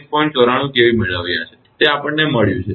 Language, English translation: Gujarati, 94 kV just we have got it